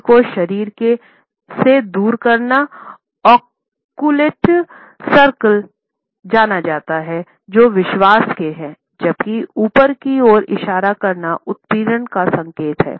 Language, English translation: Hindi, Pointing the finger away from the body is known in occult circles as the sign of faith, while pointing upwards is the sign of persuasion